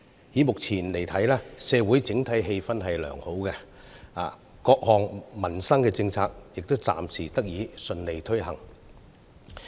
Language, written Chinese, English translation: Cantonese, 以目前來看，社會整體氣氛良好，各項民生政策亦暫時得以順利推行。, At present the atmosphere of the entire society is good and various livelihood - related policies can also be implemented smoothly